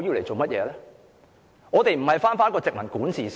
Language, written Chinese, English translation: Cantonese, 主席，我們並非回到殖民管治時期。, Chairman we are not returning to the colonial era